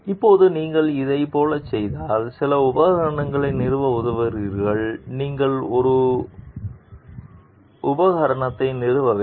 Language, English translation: Tamil, Now, if you go for this like suppose, you are helping to install some equipment you have to install one component by yourself